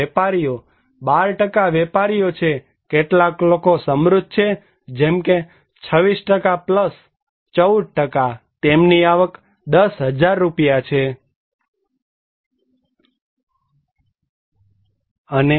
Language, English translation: Gujarati, And traders; 12% are traders, some people are rich like 26% + 14%, they have more income than 10,000 rupees